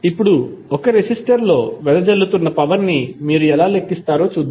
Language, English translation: Telugu, Now, let us see, how you will calculate the power dissipated in a resistor